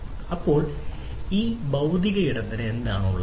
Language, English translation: Malayalam, So, what does this physical space have, right